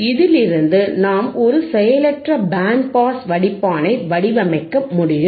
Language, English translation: Tamil, We can design a passive band pass filter